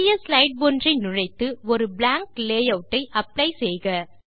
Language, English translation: Tamil, Insert a new slide and apply a blank layout